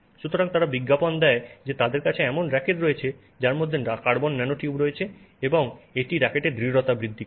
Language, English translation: Bengali, So, they do advertise that they have rackets which have carbon nanotubes in there and that has increased the stiffness of the racket